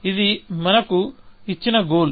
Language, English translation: Telugu, So, this is a goal given to us